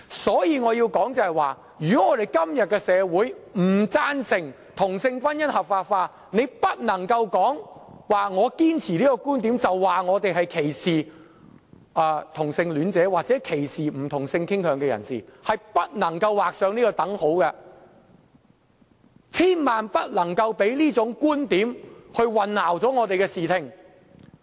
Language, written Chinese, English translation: Cantonese, 因此，我要指出，如果社會今天不贊成同性婚姻合法化，大家便不能指我堅持這個觀點，是歧視同性戀者或不同性傾向人士，兩者之間是不能劃上等號的，大家千萬不能讓這種觀點混淆我們的視聽。, Hence I have to point out that if society disagrees with legalizing same sex marriage Members should not accuse me of discriminating against homosexuals or persons with different sexual orientation when I hold fast to that opinion . There should be no equal sign between the two issues . We should never allow this viewpoint to obscure the fact